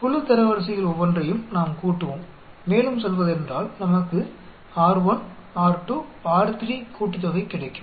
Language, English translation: Tamil, We will sum up each of the group ranks and we will get say summation R1, R2